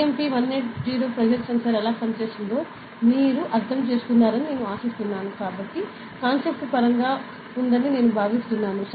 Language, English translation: Telugu, I hope you understood how the BMP 180 pressure sensor works and I think the concept is clear